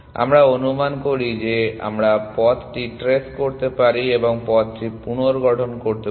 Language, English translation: Bengali, So, we assume that we can trace back the path and reconstruct the path and then